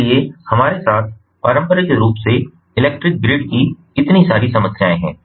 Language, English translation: Hindi, we all are familiar with the traditional electrical grid